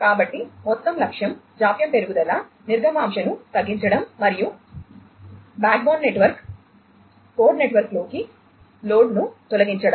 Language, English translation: Telugu, So, the overall objective is to reduce the latency increase throughput and eliminate load onto the backbone network, the core network